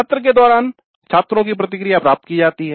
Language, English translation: Hindi, The student feedback is obtained during the session